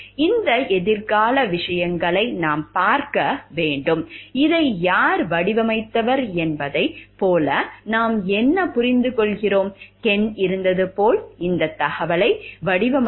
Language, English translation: Tamil, We have to look into these future things, then what we understand like who design this; like was Ken; the person who designed this adaptation